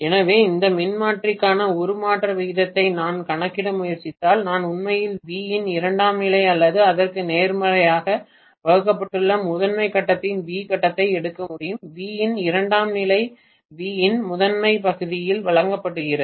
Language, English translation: Tamil, So if I try to calculate the transformation ratio for this transformer I have to take actually v phase of primary divided by the v phase of secondary or vice versa, v phase of secondary divided by v phase of primary it doesn’t matter